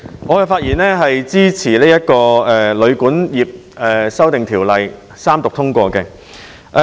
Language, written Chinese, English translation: Cantonese, 我發言支持《2018年旅館業條例草案》三讀通過。, I rise to speak in support of the Third Reading and the passage of the Hotel and Guesthouse Accommodation Amendment Bill 2018 the Bill